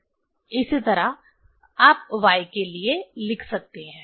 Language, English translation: Hindi, Similarly, for y you can write